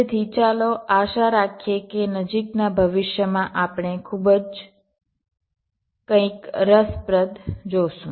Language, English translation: Gujarati, so lets hope that will see something very interesting in the near future